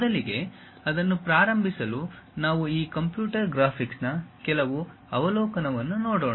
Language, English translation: Kannada, To begin with that first we will look at some overview on these computer graphics